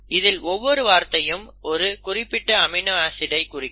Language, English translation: Tamil, You can have more than one word for a particular amino acid